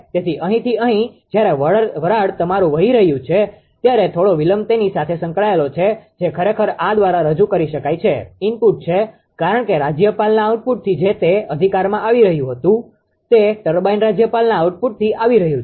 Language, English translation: Gujarati, So, from from here to here when were steam is your ah flowing right, some delay will be associated with that, that is actually represent by this is input, because governor output whatever it was coming right, from the output of the governor it is coming to the turbine